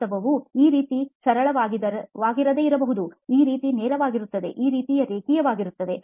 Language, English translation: Kannada, The reality may not be as simple as this, as straightforward as this, as linear as this